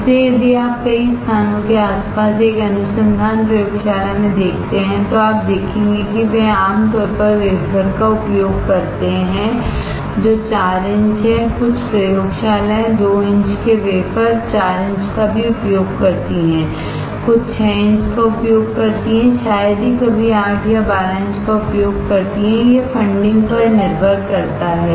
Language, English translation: Hindi, So, if you see in a research laboratory around many places, you will see generally they use wafer which is 4 inches, some laboratories also use 2 inch wafer, 4 inches, some uses 6 inches, rarely some uses 8 or 12 inches depending on the funding